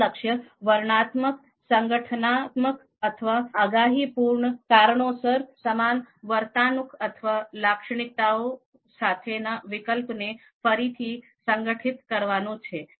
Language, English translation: Gujarati, The goal is to regroup the alternatives with similar behaviors or characteristics for descriptive organizational or predictive reasons